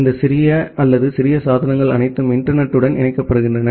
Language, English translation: Tamil, And all of this tiny or the small devices they get connected to the internet